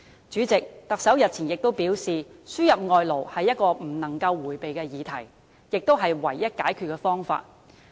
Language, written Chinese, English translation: Cantonese, 主席，特首日前亦表示，輸入外勞是不能迴避的議題，亦是唯一的解決方法。, President the Chief Executive has also stated earlier that labour importation is an inevitable issue and the only solution too